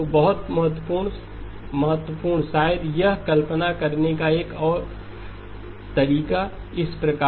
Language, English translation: Hindi, So very, very important maybe another way of visualizing it is as follows